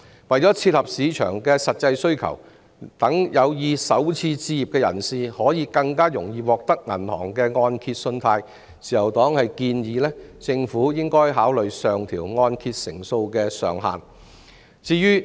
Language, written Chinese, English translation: Cantonese, 為切合市場的實際需求，讓有意首次置業的人士更易獲得銀行的按揭信貸，自由黨建議政府考慮上調按揭成數的上限。, To cater for the practical needs of the market so as to allow the potential starters to obtain mortgage loan from banks more easily the Liberal Party suggested that the Government should consider adjusting upward the ceiling of loan - to - value ratio